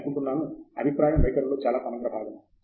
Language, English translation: Telugu, I think feedback is a very, very integral part